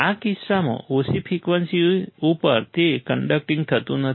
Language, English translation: Gujarati, In this case, at low frequency, it was not conducting